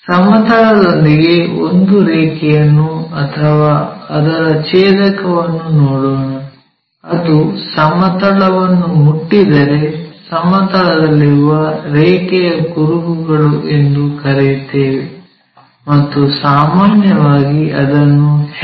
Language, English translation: Kannada, Let us look at with horizontal plane, a line itself or its intersection; if it touches horizontal plane, we call trace of a line on horizontal plane and usually we denote it by HT symbol